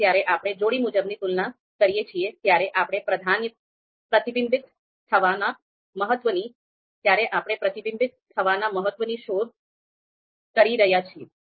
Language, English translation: Gujarati, So when we are asking for pairwise comparisons, then it is actually we are looking for you know that you know importance to be reflected